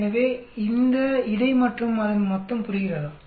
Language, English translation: Tamil, So total of between this plus this, understand